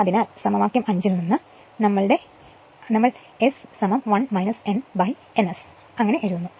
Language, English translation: Malayalam, So, from equation 5, we know S is equal to 1 minus n upon n s